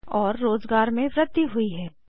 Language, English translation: Hindi, And Employment has increased